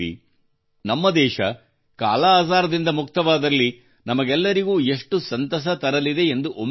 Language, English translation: Kannada, Just think, when our country will be free from 'Kala Azar', it will be a matter of joy for all of us